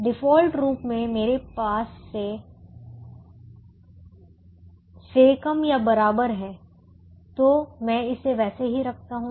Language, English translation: Hindi, i have a less than or equal to, so i keep it as it is